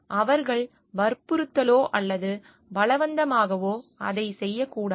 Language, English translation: Tamil, They should not be doing it under coercion or force